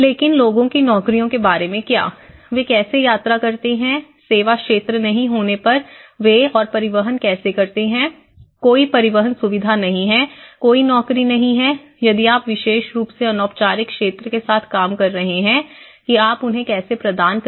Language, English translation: Hindi, And but what about the jobs of the people, how do they travel, how do they commute when there is no service sector, the transportation facility, there has no jobs, if you are especially, you are dealing with the informal sector how you are going to provide them